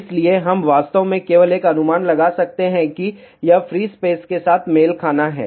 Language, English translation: Hindi, So, we can actually just take an approximation as that this is to be matched with free space